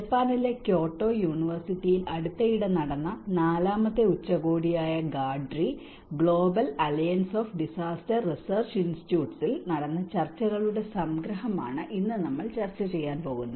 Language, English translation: Malayalam, Today, we are going to discuss about some of the summary of the discussions which happened in the GADRI, Global Alliance of Disaster Research Institutes, the fourth summit which just recently happened in Kyoto University in Japan